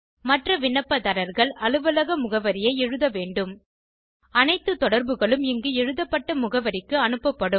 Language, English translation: Tamil, Other applicants should write their Office address All communication will be sent to the address written here